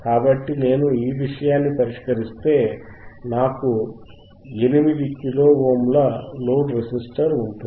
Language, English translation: Telugu, So, if I iff I solve this thing, well I have I will have a load registersistor of 8 kilo Ohms